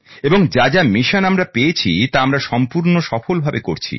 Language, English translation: Bengali, And these missions that have been assigned to us we are fulfilling them very well